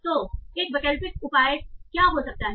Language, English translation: Hindi, So what can be an alternative measure